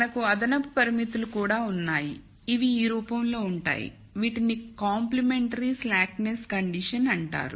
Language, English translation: Telugu, We also have additional constraints, which are of this form, these are called complementary slackness condition